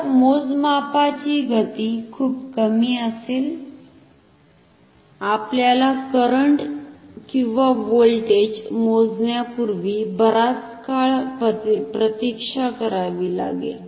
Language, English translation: Marathi, So, the speed of measurement will be very slow, we have to wait one for a long time before we can measure the current or the voltage